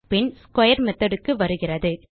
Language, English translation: Tamil, Then it comes across the square method